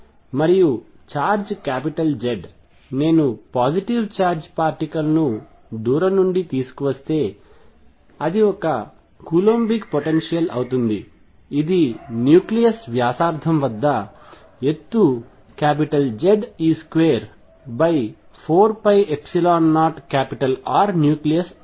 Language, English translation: Telugu, And is charge is z, if I bring a positive charge particle from far away it is a coulombic potential which at the nucleus radius becomes of the height Z e square over 4 pi epsilon 0 r nucleus